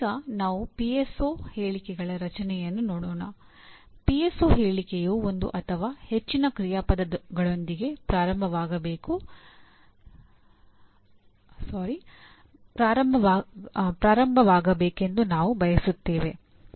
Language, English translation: Kannada, We want the PSO statement to start with one or more action verbs